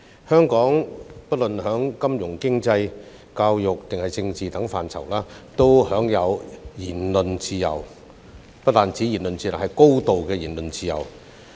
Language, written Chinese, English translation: Cantonese, 香港不論在金融、經濟、教育或政治等範疇都享有言論自由，而且不但是言論自由，更是高度的言論自由。, In Hong Kong there is freedom of speech in all aspects whether it be finance economy education or politics and there is not only freedom of speech but also a high degree of freedom of speech